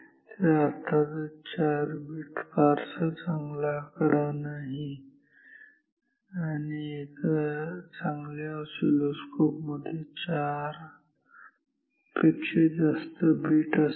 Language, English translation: Marathi, Of course, 4 bit is not a good number are good and oscilloscope will have much more number of beats than 4 ok